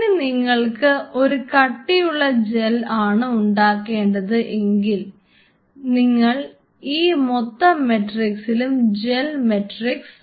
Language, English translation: Malayalam, Second thing followed when you wanted to make a thick gel say for example, you want it the whole matrix to be a gel matrix